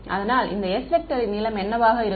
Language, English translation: Tamil, So, what will be the length of this s vector